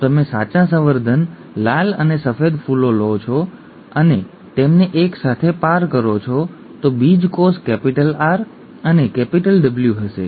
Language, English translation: Gujarati, The, if you take true breeding red and white flowers and cross them together, the gametes will be capital R and capital W